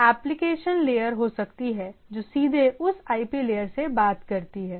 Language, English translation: Hindi, There can be application layer which directly talks with that IP layer and like that